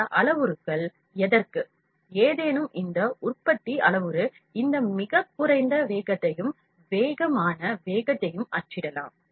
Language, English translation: Tamil, For the any of these parameters, any of these manufacturing parameter I can say, print this lowest speed and the fastest speed